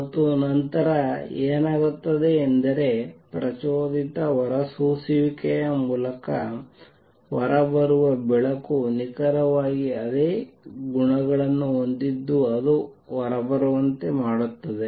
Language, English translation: Kannada, And what happens then is the light which comes out through stimulated emission has exactly the same properties that makes it come out